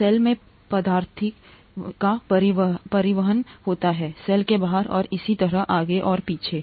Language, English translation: Hindi, There is transport of substances into the cell, out of the cell and so on and so forth